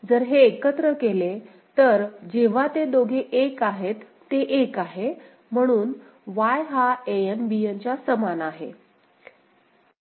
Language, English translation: Marathi, If you put together, when both them are 1, it is 1 so Y is equal to An Bn is it fine